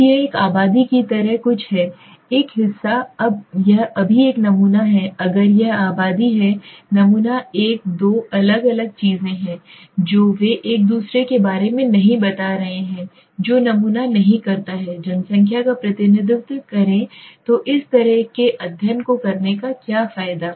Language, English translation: Hindi, Now this is something like a population a part this is a sample right now this is if the population is sample a two different things they are not explaining about each other the sample does not represent the population then what is the use of doing such a study